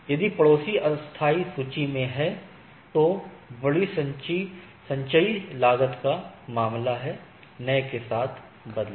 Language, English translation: Hindi, If the neighbor is in the tentative list with in the tentative list means larger cumulative cost, replace with new one right